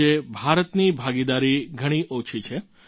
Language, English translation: Gujarati, Today India's share is miniscule